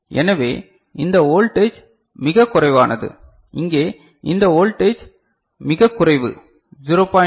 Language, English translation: Tamil, So, this voltage over here is very small this voltage here is very small 0